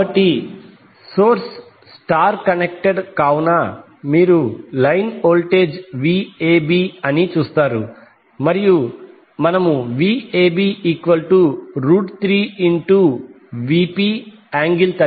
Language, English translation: Telugu, So since the source is your star connected, so you will see that the line voltage will be Vab and we derived that the value of Vab will be root 3 Vp angle 30 degree